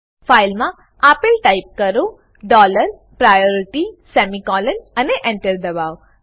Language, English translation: Gujarati, Type the following in the file dollar priority semicolon and press Enter